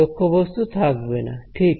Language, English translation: Bengali, There is no object